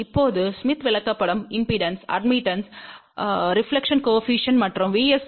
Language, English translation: Tamil, Now, smith chart can be use to plot impedance, admittance, reflection coefficient as well as VSWR